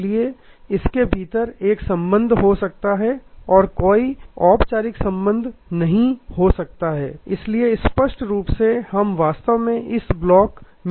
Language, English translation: Hindi, So, there can be within this there can be a relationship based and there is no formal relationship based therefore obviously, we are actually interested in this block